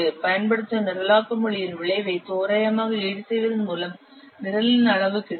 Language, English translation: Tamil, The size of the program by approximately compensating for the effect of programming language use